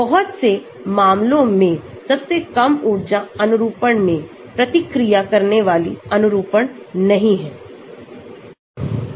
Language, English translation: Hindi, In many cases, the lowest energy conformation is not the conformation that reacts